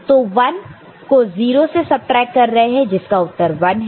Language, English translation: Hindi, So, 0, 1 is subtracted from 0 so this is 1 right